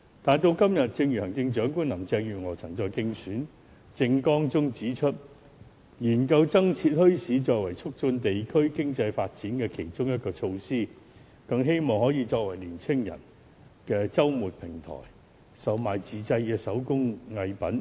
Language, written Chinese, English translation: Cantonese, 時至今天，行政長官林鄭月娥曾在其競選政綱中提出研究增設墟市，作為促進地區經濟發展的其中一個措施，更希望可以作為平台讓青年人在周末售賣自製手工藝品。, Today Chief Executive Carrie LAM stated in her election manifesto that studies would be conducted on establishing more bazaars as a measure to promote the development of district economy . She hoped that bazaars could become platforms where young people could sell their handicrafts at weekends